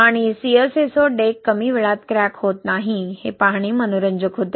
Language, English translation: Marathi, And what was interesting to see that the deck with CSA did not crack in early age